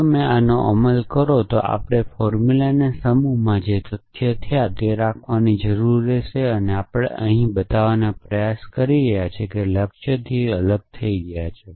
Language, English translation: Gujarati, If you implementing this we will need to keep the facts that we have in one set of formulas, which are separated from the goals that we are trying to show